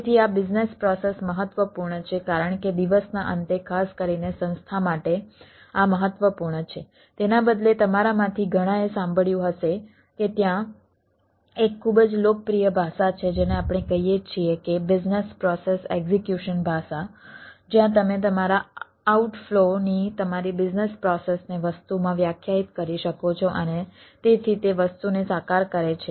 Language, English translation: Gujarati, so this business process is important because, end of the day, specially for the organization, this matters rather, ah, many of you might have heard, there is a very popular language, what we say business process execution language, where you can defined what is your business process of outflow in to the thing and so it realize the thing right